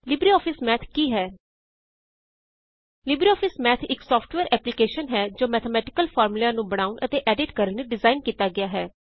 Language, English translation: Punjabi, LibreOffice Math is a software application designed for creating and editing mathematical formulae